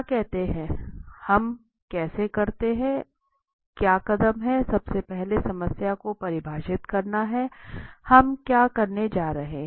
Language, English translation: Hindi, So what are the let say, how does it what are the steps, first is to define the problem, what are we going to do